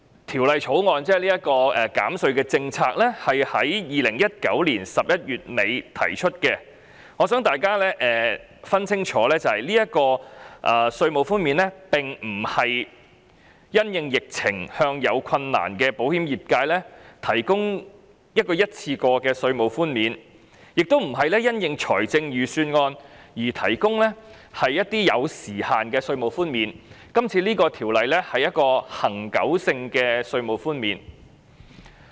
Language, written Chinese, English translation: Cantonese, "《條例草案》涉及的減稅政策在2019年11月底提出，我希望大家明白，這項稅務寬免並非因應疫情而向有困難的保險業界提供一項一次過的稅務寬免，亦非因應財政預算案而提供一些具時限的稅務寬免，而是一項恆久性的稅務寬免。, The tax reduction policy mentioned in the Bill was introduced at the end of November 2019 . I hope Members will understand that this is not a one - off tax relief offered to the insurance industry in difficulty amid the epidemic nor is it a time - limited tax relief offered based on the Budget . This is a tax relief with permanent effect